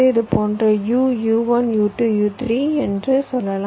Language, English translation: Tamil, let say u, u one, u two, u, three, like this